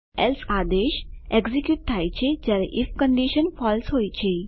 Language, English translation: Gujarati, else command is executed when if condition is false